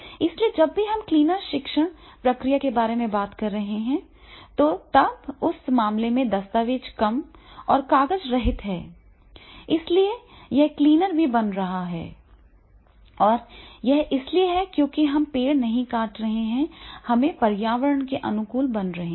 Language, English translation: Hindi, So whenever we are talking about the cleaner teaching process and then in that case the documents are less and less, paperless, so therefore it is becoming the cleaner also and it is because we are not cutting trees, we are becoming the teaching has to be environment friendly